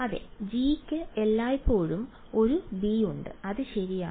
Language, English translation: Malayalam, Yeah G has a b everywhere that is right